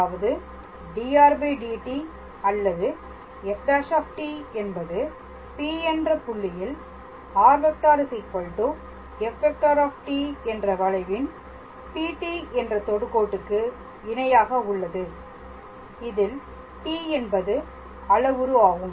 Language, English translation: Tamil, So that means dr dt or f dash t is parallel to the tangent PT right of the curve r is equals to f t at the point P, where t is the parameter